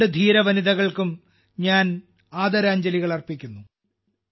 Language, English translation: Malayalam, I offer my tributes to these two brave women